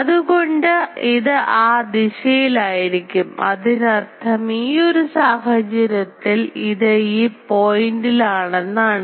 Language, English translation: Malayalam, So, it will be in that direction; that means, in this case it will be in this point